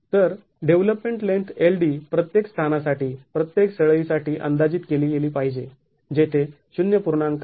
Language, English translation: Marathi, So, the development length LD has to be estimated for each of the locations, each of the bars where it is 0